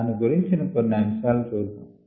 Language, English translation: Telugu, we look at some aspects of that